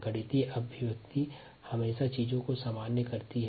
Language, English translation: Hindi, mathematical expression always generalizes things